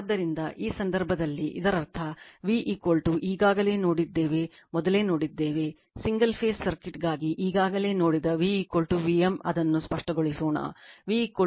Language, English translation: Kannada, So, in this case that means, the earlier we have seen that your v is equal to we have already seen know, v we have already seen for single phase circuit v is equal to v m let me clear it, v is equal to v m that sin of omega t